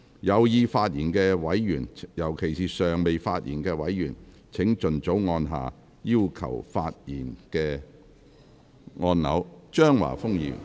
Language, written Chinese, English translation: Cantonese, 有意發言的委員，尤其是尚未發言的委員，請盡早按下"要求發言"按鈕。, Members who wish to speak especially those who have not yet spoken please press the Request to speak button as soon as possible